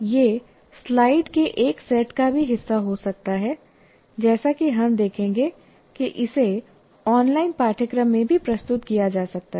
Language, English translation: Hindi, It can be also as a part of a set of slides as we will see that can be presented in an online course as well